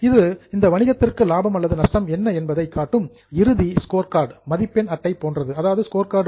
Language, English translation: Tamil, It's like a final scorecard for that business as profit or loss for the year